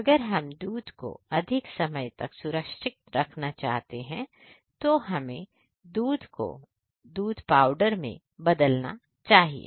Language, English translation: Hindi, If we want to preserve the milk for a longer time, we should convert the milk into the milk powders